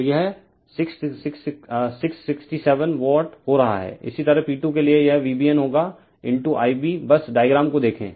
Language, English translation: Hindi, So, it is becoming 667 Watt; similarly for P 2 it will be V B N , into I b just look at the diagram